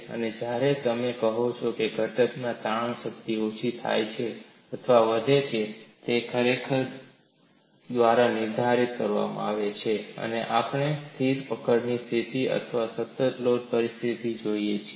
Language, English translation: Gujarati, So, when you say strain energy in component decreases or increases that is actually dictated by, are we having a fixed grip situation or a constant load situation